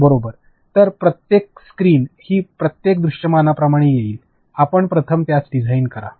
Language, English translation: Marathi, So, every visual that is going to come like every screen, you first design that